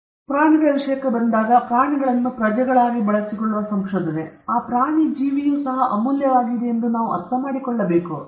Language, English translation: Kannada, So, but when you come to animals, research where animals are used as subjects, there again, we have to understand that animal life is also precious